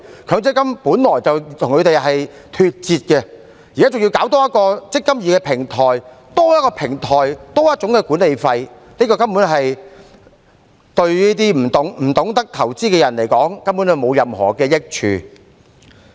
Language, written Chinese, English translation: Cantonese, 強積金計劃本來便與他們脫節，現在還多開設"積金易"平台，多一個平台，便多一種管理收費，這對於那些不懂得投資的人而言根本沒有任何益處。, MPF schemes has fundamentally gone out of tune with them . After the establishment of this eMPF platform there will be one more kind of management fee for this additional platform . This is simply not beneficial at all to these people who know nothing about investment